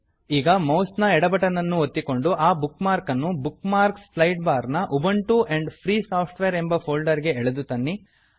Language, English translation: Kannada, Now, press the left mouse button and drag the bookmark up to Ubuntu and Free Software folder in the Bookmarks Sidebar